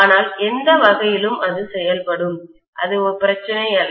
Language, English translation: Tamil, But either way, it will work, that’s not a problem